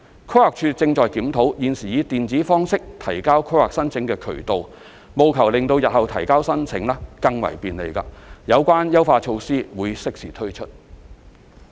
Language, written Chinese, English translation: Cantonese, 規劃署亦正檢討現時以電子方式提交規劃申請的渠道，務求令日後提交申請更為便利，有關優化措施將適時推出。, PlanD is also examining the ways for electronic submission of planning applications with a view to further facilitating the submission of applications in the future . The relevant enhancement measures will be rolled out in due course